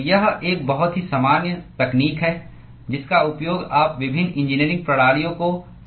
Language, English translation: Hindi, So, it is a very, very common technique used when you model different engineering systems